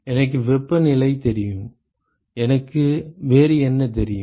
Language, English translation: Tamil, I know the temperatures what else do I know